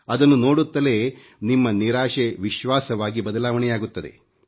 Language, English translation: Kannada, Just on seeing these pictures, your disappointment will transform into hope